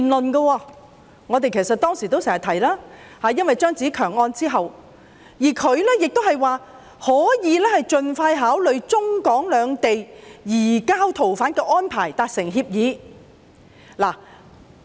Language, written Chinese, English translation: Cantonese, 這關乎我們當時常提及的"張子強案"，而他亦指出可以盡快考慮就中港兩地移交逃犯的安排達成協議。, It was related to the CHEUNG Tze - keung case which we frequently mentioned at the time . LEE pointed out that the authorities might expeditiously consider concluding an agreement on arrangement for the surrender of fugitives between Hong Kong and China